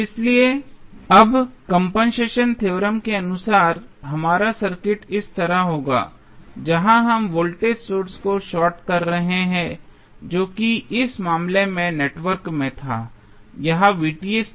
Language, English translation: Hindi, So, now, as per compensation theorem our circuit would be like this, where we are short circuiting the voltage source which is there in the network in this case it was Vth